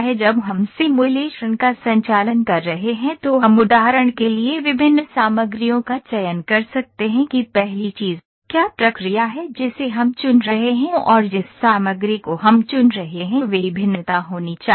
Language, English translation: Hindi, When we are conducting the simulation we can select different materials for instance what first thing is the process that we are choosing and the material that we are choosing that should vary we having compatibility